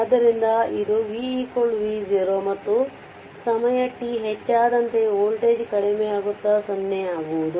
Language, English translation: Kannada, So, it is v is equal to V 0 right and as time t increases the voltage decreases towards 0